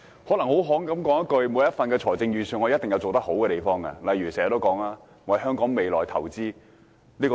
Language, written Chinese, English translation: Cantonese, 概括而言，每份預算案一定有做得好的地方，例如預算案重申要為香港未來投資。, Generally speaking each budget has its own merits eg . the Budget has reinstated that the Government will invest for the future of Hong Kong